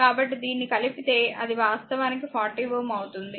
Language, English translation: Telugu, So, if you add this it will be actually 40 ohm right